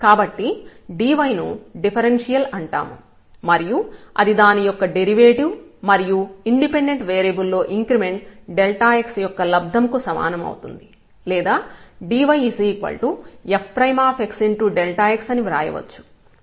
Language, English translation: Telugu, So, the dy which is called differential is nothing, but the product of its derivative and the increment delta x of this independent variable or we can write down simply that dy is nothing, but the f prime x and delta x